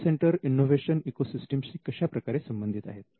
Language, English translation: Marathi, Now, how is an IP centre connected to an innovation ecosystem